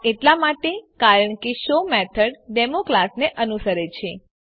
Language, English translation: Gujarati, This is because the show method belongs to the class Demo